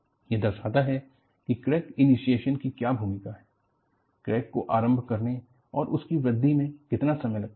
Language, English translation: Hindi, And, this brings out, what is the role of crack initiation, how long does it take for the crack to initiate and how long it does it take for growth